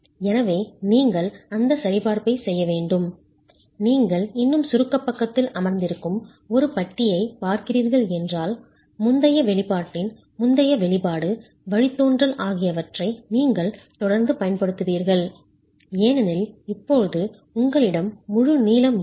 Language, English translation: Tamil, So, you need to make that check and if you are looking at a bar still sitting in the compression side, you will continue to use the previous expression, derivation of the previous expression because now you are not, you don't have the full length